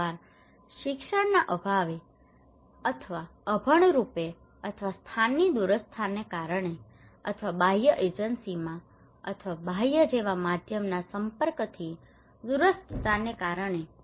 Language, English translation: Gujarati, Sometimes because of lack of education or illiteracies or remoteness of the place or remoteness of their exposure to external agencies or external like media